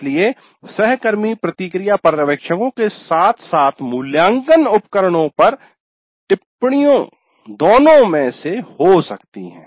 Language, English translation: Hindi, So the peer feedback can be both from observers as well as comments on assessment instruments